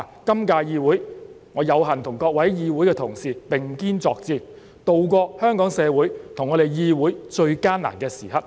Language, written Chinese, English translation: Cantonese, 今屆議會，我有幸跟議會中各位同事並肩作戰，渡過香港社會和議會最艱難的時刻。, In this term of the Legislative Council I am honoured to work alongside my colleagues in this Council during the most difficult time for Hong Kong society and the Council